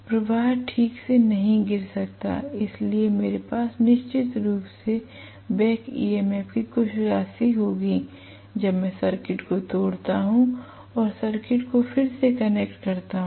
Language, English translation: Hindi, Flux may not collapse right away, so I will have some amount of back EMF definitely, when I break the circuit and reconnect the circuit